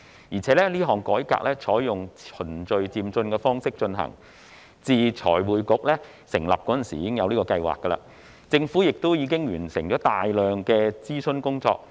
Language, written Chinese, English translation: Cantonese, 而且，這項改革採用循序漸進的方式進行，自財匯局成立時，已有相關的計劃，政府亦已完成大量的諮詢工作。, Moreover this reform will be carried out under a step - by - step approach . The relevant plan has been in place since the establishment of FRC and the Government has completed extensive consultation work